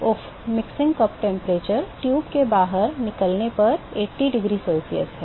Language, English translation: Hindi, Oops 80 mixing cup temperature at the exit of the tube is 80 degree C